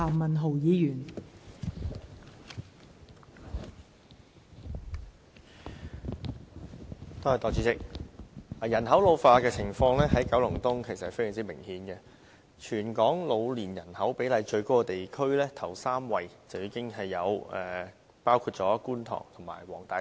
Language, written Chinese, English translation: Cantonese, 代理主席，人口老化的情況在九龍東非常明顯，全港老年人口比例最高的地區，首3位已包括觀塘和黃大仙。, Deputy President Kowloon East has a pretty obvious ageing population . With Kwun Tong and Wong Tai Sin they form the first three districts in Hong Kong with the highest proportion of elderly in the population